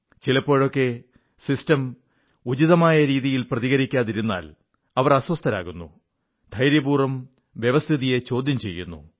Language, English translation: Malayalam, And in the event of the system not responding properly, they get restless and even courageously question the system itself